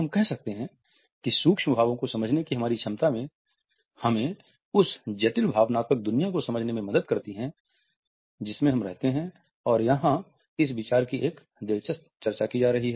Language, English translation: Hindi, We can say that our capability to understand micro expressions help us to understand the complex emotional world we live in and here is an interesting discussion of this idea